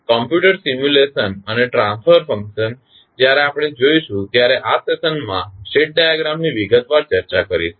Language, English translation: Gujarati, The computer simulation and transfer function, how when we see the discussed the state diagram in detail in the in this session